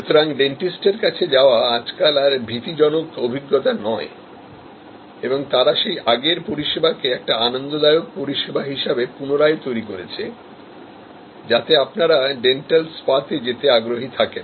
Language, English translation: Bengali, So, going to the dentist is no longer a fearful experience, but they are trying to recreate that same service as a pleasurable service that you can go forward to the dental spa